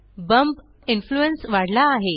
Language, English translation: Marathi, The bump influence is increased